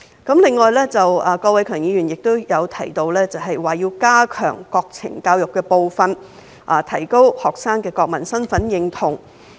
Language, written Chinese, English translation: Cantonese, 此外，郭偉强議員亦提到，要加強國情教育的部分，提高學生的國民身份認同。, Besides Mr KWOK Wai - keung also proposed strengthening the part on National Education so as to strengthen students sense of national identity which I think is the general consensus of many Members